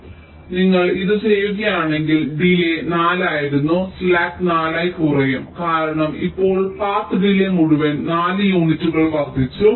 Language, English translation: Malayalam, so if you do it, the delay, the slack that was four, that will get decremented by four, because now the entire path delay has increased by four units